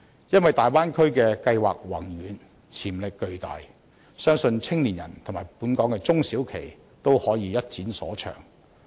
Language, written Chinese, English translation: Cantonese, 因為大灣區計劃宏遠、潛力巨大，相信年青人及本港中小企均可以一展所長。, It is because the development of the Bay Area involves far - sighted planning concepts with huge potential and young people and local SMEs will have a chance to give play to their strengths